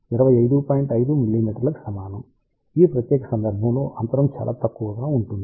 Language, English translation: Telugu, 5 mm in this particular case gap is much smaller